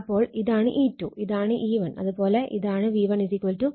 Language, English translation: Malayalam, So, this is my your E2 this is E1 and this is your V1 = minus E1